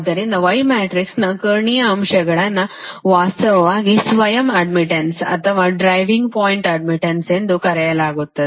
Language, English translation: Kannada, so diagonal elements of y matrix actually is not known as self admittance or driving point admittance